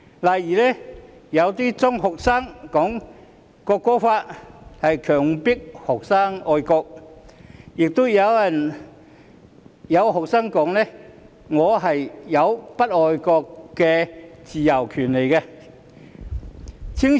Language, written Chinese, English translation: Cantonese, 例如，有些中學生說《條例草案》強迫人愛國，亦有中學生說他們有不愛國的自由和權利。, For example some secondary students said the Bill forces people to be patriotic and some said they have the freedom and right to not be patriotic